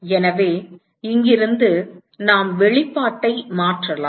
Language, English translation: Tamil, So, from here we can substitute the expression